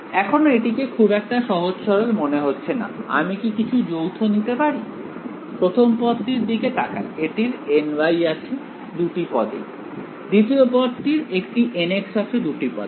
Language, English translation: Bengali, Again still does not look very very straightforward over here, can I take something common from, can I looking at this the first term has a n y in both the terms, the second term has a n x in both the terms right